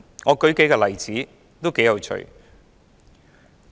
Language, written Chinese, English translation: Cantonese, 我舉數個例子，頗有趣的。, To illustrate my views I will give some interesting examples